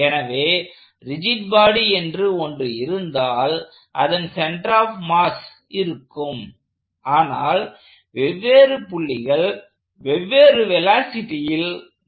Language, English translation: Tamil, So, if I have a rigid body and like we said there is a center of mass, but different points are moving at the different velocities